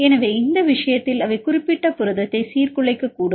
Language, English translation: Tamil, So, in this case they may destabilize the particular protein